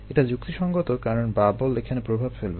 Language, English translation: Bengali, it make sense because bubbles will interfere